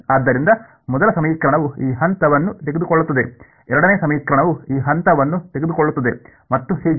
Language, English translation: Kannada, So, first equation will take this point second equation will take this point and so on